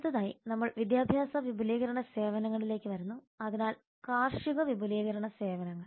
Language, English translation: Malayalam, next we come to education and extension services so agriculture extension services